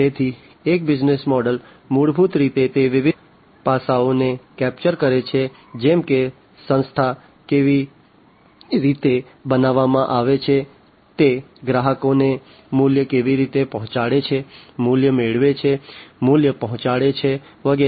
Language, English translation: Gujarati, So, a business model basically you know it captures the different aspects such as the rationale behind how the organization is created, how it is going to deliver value to the customers, capturing the value, delivering the value, and so on